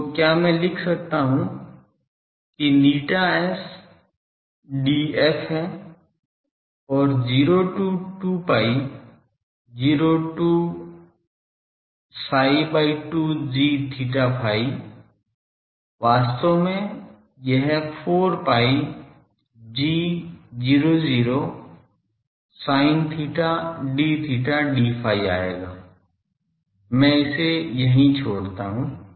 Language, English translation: Hindi, So, can I write that eta S is D f then 0 to 2 pi 0 to psi by 2 g theta phi by actually, this will come out 4 pi g 0 0 sin theta d theta d phi ok, I leave it here ok